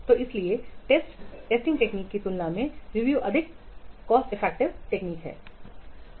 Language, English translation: Hindi, So that's why review is much more cost effective than the testing technique